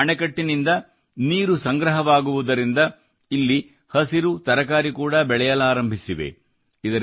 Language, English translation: Kannada, Due to accumulation of water from the check dams, greens and vegetables have also started growing here